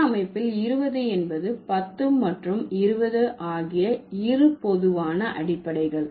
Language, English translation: Tamil, Twenty, the two most common basis in numeral system is 10 and 20